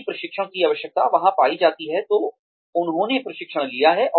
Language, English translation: Hindi, If the training need is found to be there, then they have trained